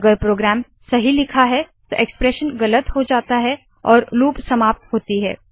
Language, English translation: Hindi, If the program is written well, the expression becomes false and the loop is ended